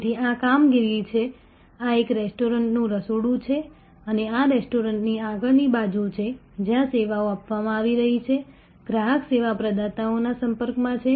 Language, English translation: Gujarati, So, this is the operations, this is a kitchen of a restaurant and this is the front side of the restaurant, where services are being offered, customer is in contact with service providers